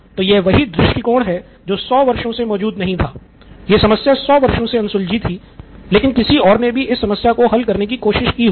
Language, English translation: Hindi, This problem was unsolved for 100 years but somebody else also tried to solve this problem